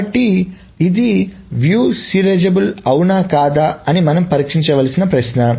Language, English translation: Telugu, So the question is we need to test whether this is view serializable or not